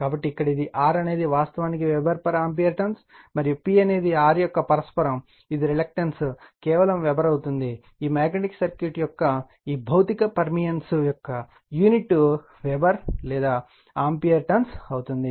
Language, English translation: Telugu, So, here it is R is actually ampere turns per Weber, and P is the reciprocal of R, the reluctance it will be just Weber, this unit will be Weber or ampere turns of this physical permeance of the magnetic circuit right